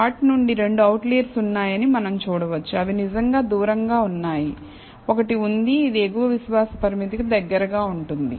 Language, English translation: Telugu, Now, from the plot, we can see that there are two outliers, which are really farther, there is one, which is close to the upper confidence limit